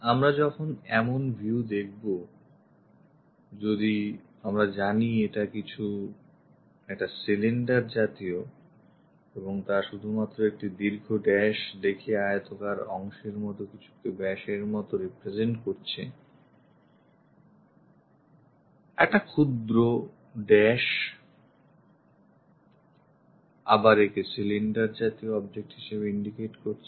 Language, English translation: Bengali, When we are looking at this kind of views if we already know cylinder of so and sodiameter just representing something like a rectangular portion showing long dash, short dash clearly indicates that it is a cylindrical object